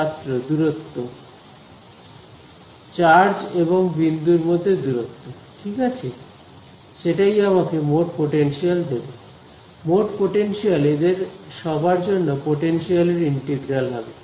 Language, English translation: Bengali, Distance, between the charge and the point right that is what gives me the total potential, for total potential is the integral of all the potential due to everyone of these fellows